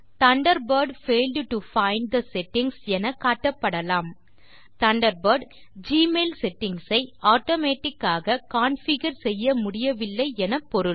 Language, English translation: Tamil, Some times an Error message, Thunderbird failed to find the settings may be displayed This indicates, that Thunderbird was not able to configure Gmail settings automatically